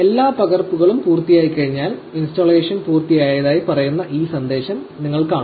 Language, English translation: Malayalam, Once all the copying is complete, you will see this message which says installation is complete